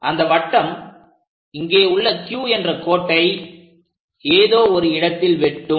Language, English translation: Tamil, So, draw a circle, it is going to intersect at this point Q